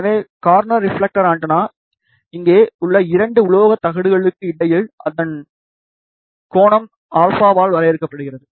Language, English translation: Tamil, So, corner reflector antenna is defined by its angle alpha between the two metallic plates over here